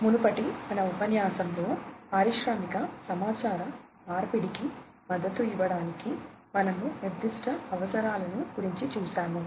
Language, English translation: Telugu, In the previous lecture, we have gone through the specific requirements for supporting industrial communication